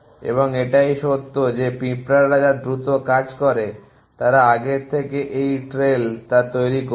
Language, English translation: Bengali, And this fact that ants which happen to do things faster they live the trails earlier